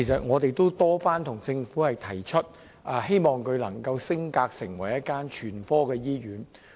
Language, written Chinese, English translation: Cantonese, 我們多次向政府提出，希望北大嶼山醫院能夠升格成為一所全科醫院。, We have proposed many times to the Government about upgrading North Lantau Hospital to a general hospital